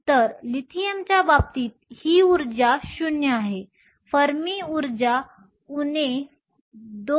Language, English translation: Marathi, So, in the case of Lithium this energy is 0, the Fermi energy is at minus 2